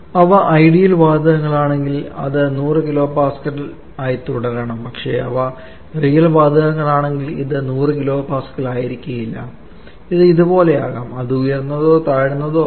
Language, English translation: Malayalam, It if they are ideal gases then it should remain at 100 kilo Pascal but if there real gases like in this example it may not be 100 kilo Pascal it may be something like this